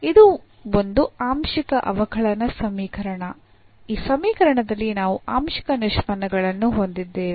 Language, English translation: Kannada, This is a partial differential equation; we have the partial derivatives in this equation